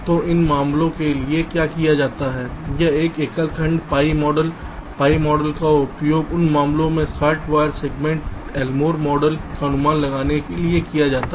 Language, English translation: Hindi, so what is done for those cases is that single segment pi model pi model is used for estimating the l more delay in those cases, short wire segment s